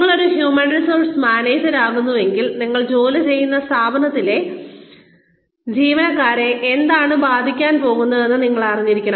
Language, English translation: Malayalam, If you become a human resources manager, you should know, what is going to affect the employees in the organization, that you are working in